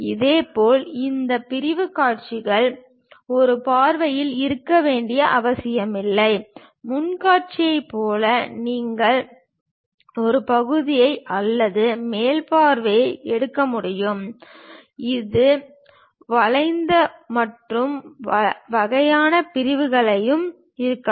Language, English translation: Tamil, Similarly, these sectional views may not necessarily to be on one view; like front view you can take section or top view, it can be bent and kind of sections also